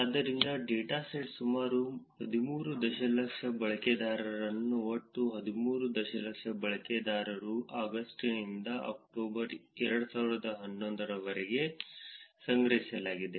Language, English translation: Kannada, So, the dataset is about total of about 13 million users collected ran from August to October 2011, the total of 13 million users